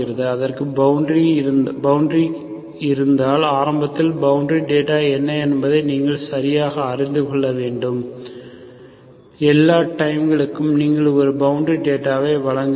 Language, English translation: Tamil, If it is a boundary, so you should also know exactly, initially what is the our boundary data, for all times you should provide a boundary data